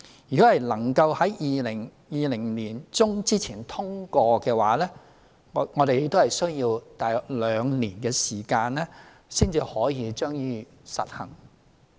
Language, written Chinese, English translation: Cantonese, 如法案能在2020年年中前通過，我們需要約兩年時間才可實行。, If the bill is passed by mid - 2020 it will take about two years to be implemented